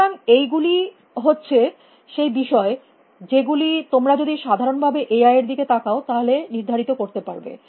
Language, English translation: Bengali, So, these are the topics that one can identify if you look at AI in general